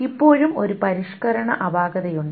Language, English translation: Malayalam, There is still a modification anomaly